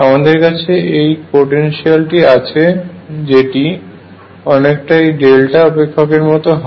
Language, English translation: Bengali, So, I have this potential which is like this delta functions